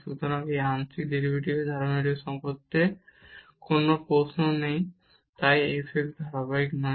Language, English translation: Bengali, So, there is no question about the continuity of this partial derivative hence this f x is not continuous